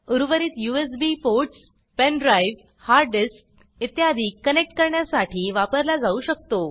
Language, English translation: Marathi, The remaining USB ports can be used for connecting pen drive, hard disk etc